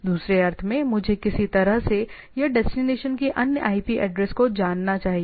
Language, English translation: Hindi, So, in other sense I should know the IP address in some way or other of the destination